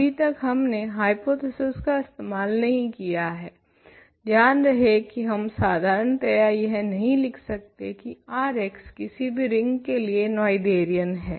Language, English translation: Hindi, So far we have not used hypothesis remember we cannot in general wrote that R x is Noetherian for arbitrary rings R